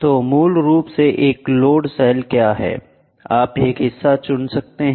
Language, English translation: Hindi, So, basically what is a load cell is you choose a member